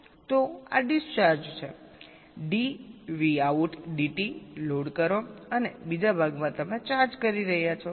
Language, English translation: Gujarati, so this is discharging, c load dv out, d t, and in the other part you are charging